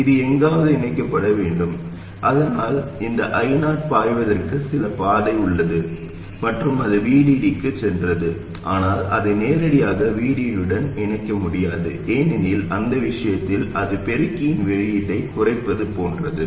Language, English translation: Tamil, It has to get connected somewhere so that this I 0 has some path to flow and it has to go to VDD where it can't be connected directly to VD because in that case that is like shorting the output of the amplifier to ground